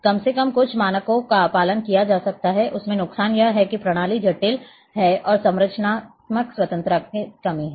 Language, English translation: Hindi, At least some standards can be followed, disadvantage is that system is a is complex and lack of structural independence